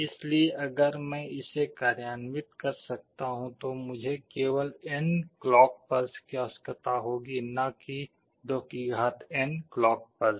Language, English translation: Hindi, So, if I can implement this I need only n clock pulses and not 2n clock pulses